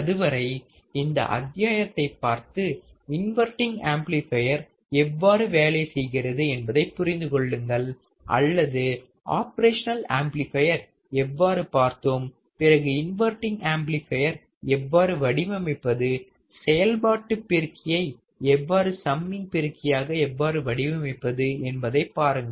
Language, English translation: Tamil, Till then you just look at this module understand how the non inverting amplifier works, or how you can design the opamp as a non inverting amplifier circuit, how you can design opamp as a inverting amplifier circuit, how you can design opamp as a summing amplifier all right